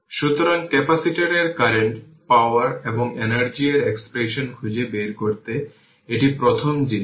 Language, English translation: Bengali, So, you have to find out derive the expression for the capacitor current power and energy this is the first thing